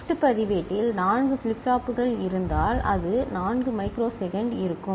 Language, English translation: Tamil, If there are 4 flip flops in the shift register, it will be 4 microsecond